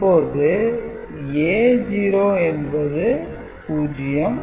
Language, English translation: Tamil, So, these are 0 0